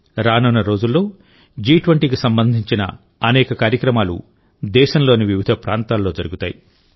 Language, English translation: Telugu, In the coming days, many programs related to G20 will be organized in different parts of the country